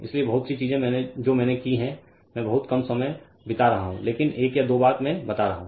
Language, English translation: Hindi, So, many things I have done I have been spending lot of time right little bit you do that, but one or twothing I am telling